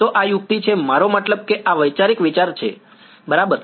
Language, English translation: Gujarati, So, this is the trick of I mean this is the conceptual idea ok